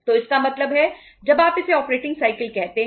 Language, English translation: Hindi, So this way we can calculate the operating cycles